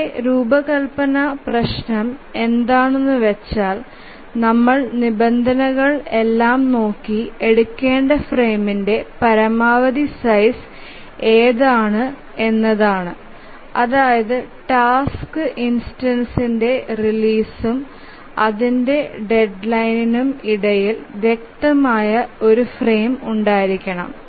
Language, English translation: Malayalam, So, now our design problem is that how to decide which is the minimum size of the frame, sorry, which is the maximum size of the frame that we must choose based on this constraint that there must be a clear frame which must exist between the release of a task instance and its deadline